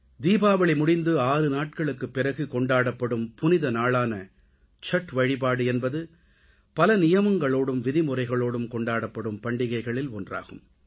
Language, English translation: Tamil, The mega festival of Chatth, celebrated 6 days after Diwali, is one of those festivals which are celebrated in accordance with strict rituals & regimen